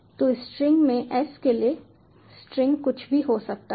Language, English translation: Hindi, so for s in string, string may be anything